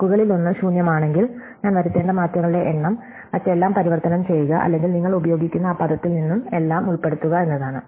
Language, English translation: Malayalam, If one of the words is empty, then the number of changes I need to make is to transform everything else or insert everything from that word you use